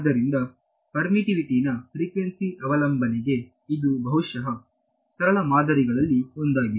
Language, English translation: Kannada, So, this is perhaps one of the simplest models for frequency dependence of permittivity right